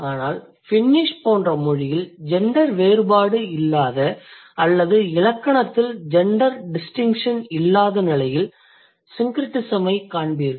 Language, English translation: Tamil, But in a language like Finnish where there is no gender difference or there is no gender distinction in grammar, hardly you would see the syncretism